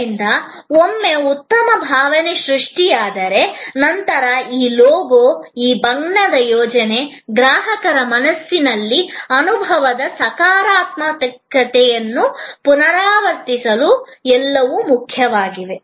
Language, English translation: Kannada, So, once a good feeling is created, then this logo, this color scheme, everything is important to repeat, to repeat, to repeat in the customer's mind the positivity of the experience